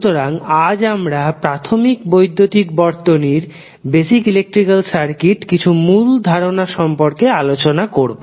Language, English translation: Bengali, So, today we will discuss about some core concept of the basic electrical circuit